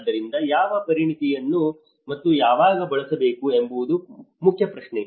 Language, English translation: Kannada, So, the main question is what expertise to use and when